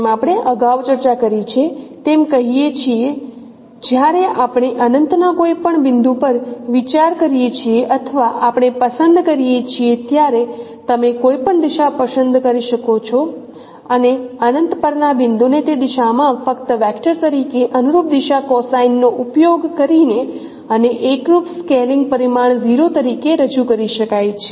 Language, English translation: Gujarati, As we discussed earlier also, say, when we consider a point at infinity, we should or you choose, you can choose any direction and a point at infinity can be represented in that directions by simply using the corresponding direction cosines as a vector and putting an additional information in form an additional dimension that homogeneous scaling dimension as 0